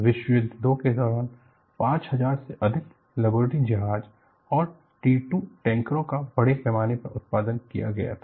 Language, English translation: Hindi, And look at, over 5000 Liberty ships and T 2 tankers were mass produced during World War 2